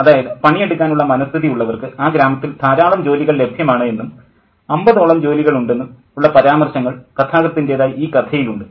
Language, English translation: Malayalam, So there are references made by the narrative which says that there are plenty of jobs in the village, about 50 jobs to be had